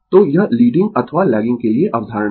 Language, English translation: Hindi, So, this is the concept for leading or lagging right